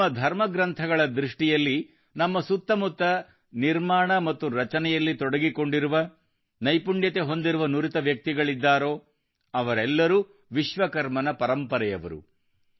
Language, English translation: Kannada, In the view of our scriptures, all the skilled, talented people around us engaged in the process of creation and building are the legacy of Bhagwan Vishwakarma